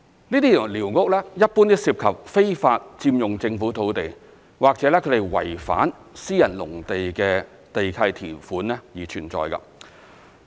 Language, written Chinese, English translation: Cantonese, 這些寮屋一般都涉及非法佔用政府土地或違反私人農地的地契條款而存在。, Generally speaking these squatters involve unlawful occupation of government land or they exist on private agricultural land in violation of the lease conditions